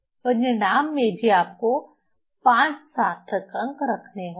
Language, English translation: Hindi, So, in result also we have to keep 5 significant figure